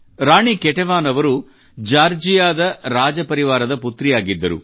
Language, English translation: Kannada, Queen Ketevan was the daughter of the royal family of Georgia